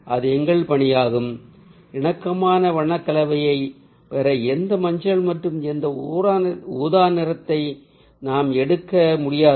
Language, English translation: Tamil, then we cannot just pick up any yellow and any purple to get ah harmonious color combination